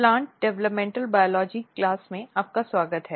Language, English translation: Hindi, Welcome to Plant Developmental Biology